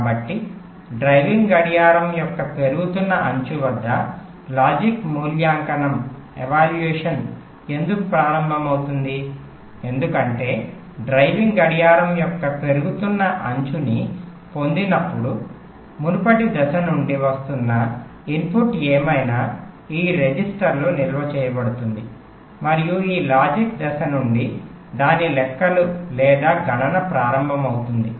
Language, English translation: Telugu, because when we get the rising edge of driving clock, that whatever is the input that is coming from the previous stage, that will get stored in this register and this logic stage will start its calculations or computation